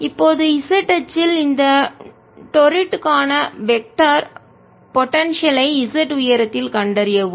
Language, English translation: Tamil, find the vector potential for this torrid on the z axis at height z